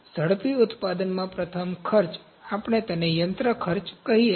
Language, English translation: Gujarati, First cost in rapid manufacturing, we can call it machine cost